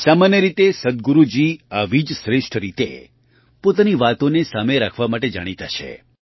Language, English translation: Gujarati, Generally, Sadhguru ji is known for presenting his views in such a remarkable way